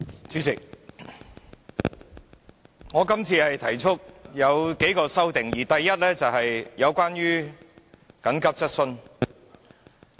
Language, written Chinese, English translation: Cantonese, 主席，我今次提出了數項修訂，第一項是和緊急質詢相關。, President I have proposed a few amendments this time and the first one is about the asking of an urgent question